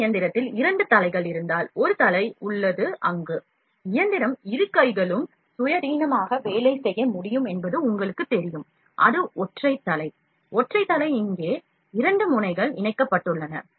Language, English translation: Tamil, In this machine there is a single head, if the two heads are there, the machine though both hands can work independently you know, that is single head here; single head on the single head here, two nozzles are attached